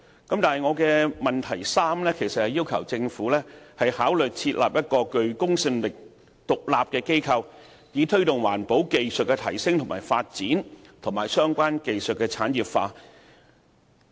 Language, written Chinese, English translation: Cantonese, 我的質詢第三部分其實是要求政府考慮設立一個具公信力的獨立機構，以推動環保技術的提升和發展，以及相關技術的產業化。, In part 3 of the main question I am actually asking the Government to consider establishing a credible and independent organization to promote the upgrading and development of environmental protection technologies and to facilitate the industrialization of the relevant technologies